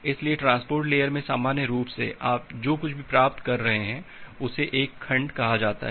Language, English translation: Hindi, So, in general at the transport layer whatever you are getting, so that is called a segment